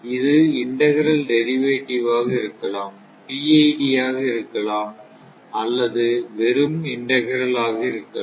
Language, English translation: Tamil, It may be combination of integral and derivative, it may be combination of PID, it may be only integral